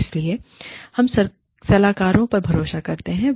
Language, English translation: Hindi, So, we bank on consultants